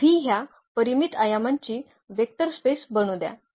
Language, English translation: Marathi, So, let V be a vector space of this finite dimension n